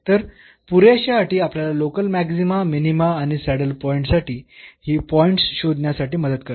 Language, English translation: Marathi, So, the sufficient conditions help us to identify these points for local maxima, minima or the saddle point